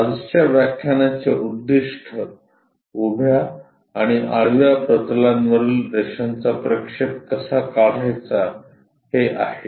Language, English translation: Marathi, Objective of today's lecture is how to draw projection of a line on a vertical plane and horizontal plane